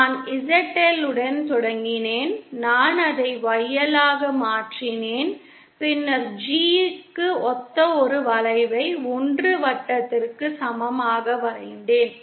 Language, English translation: Tamil, I started with ZL, I converted it to YL then I drew one arc corresponding to the G equal to 1 circle